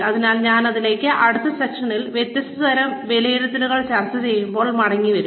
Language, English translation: Malayalam, So, I will come back to it, in the next session, when we discuss, different types of appraisals